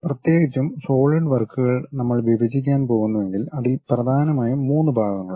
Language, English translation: Malayalam, Especially, the Solidworks, if we are going to divide it consists of mainly 3 parts